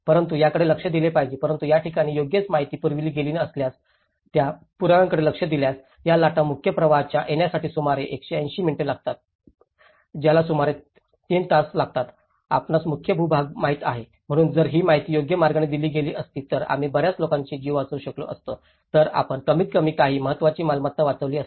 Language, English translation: Marathi, But one has to look at it but if you look at the evidences if a correct information has been passed down to these places, it took 180 minutes which is about 3 hours to reach to get these waves into the mainstream, you know to the mainland, so if that information has been passed on the right way, we would have saved many lives, we would have at least saved some important assets